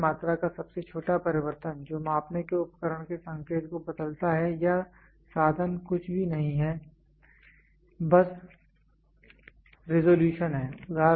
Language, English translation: Hindi, The smallest change of Measurand quantity which changes the indication of a measuring equipment is or instruments is nothing, but the resolution